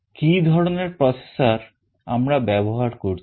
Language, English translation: Bengali, What kind of processor we are using